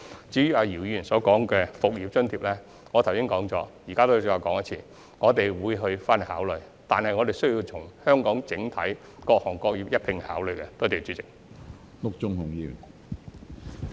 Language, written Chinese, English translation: Cantonese, 至於姚議員提及的"復業津貼"，我剛才已經說過，我現在再說一遍，我們會作考慮，但需要從本港各行各業的整體角度一併考慮。, As to the business resumption allowance mentioned by Mr YIU as I have already mentioned earlier and I will reiterate While we will take this proposal into account we need to consider it from the overall perspective of the various trades and industries in Hong Kong